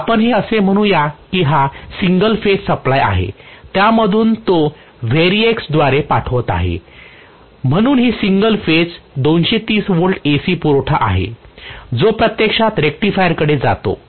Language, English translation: Marathi, So let us say this is the single phase supply from which I am going to pass it through the variac so this is single phase 230 volt AC supply, right, which actually goes to the rectifier